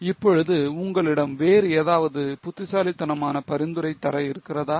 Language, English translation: Tamil, Now, do you have any other intelligent suggestion to offer